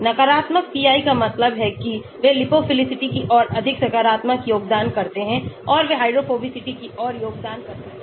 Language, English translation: Hindi, negative pi means they contribute more towards lipophilicity positive means they contribute towards hydrophobicity